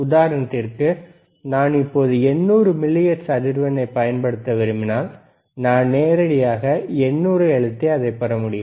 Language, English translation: Tamil, So, 800 millihertz, I can directly press 800 and I can get it